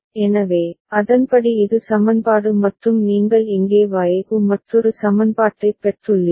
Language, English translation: Tamil, So, accordingly this is the equation and you have got another equation for Y over here ok